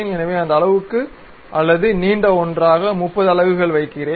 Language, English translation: Tamil, So, whether this much portion or perhaps longer one, 30 units